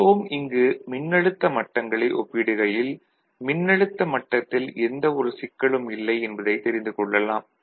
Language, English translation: Tamil, So, again if you compare the voltage levels and all we will find that there is no issues with the voltage levels